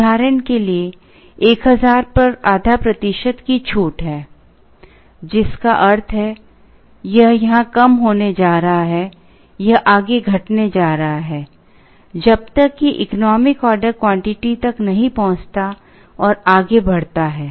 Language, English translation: Hindi, For example, there is a half a percent discount at say 1000 which means, it is going to come down here, it is going to further down, till reaches the economic order quantity and proceed